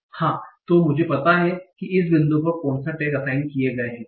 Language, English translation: Hindi, So I know what are the tags assigned at this point